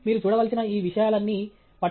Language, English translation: Telugu, So, all of these things that you have to look at